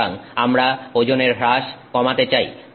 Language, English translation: Bengali, And then we want to look for weight loss